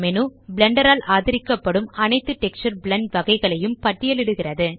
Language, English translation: Tamil, Here all types of textures supported by Blender are listed